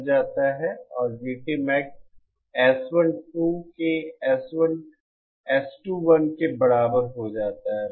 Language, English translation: Hindi, GT Max becomes simply equal to S21 upon S12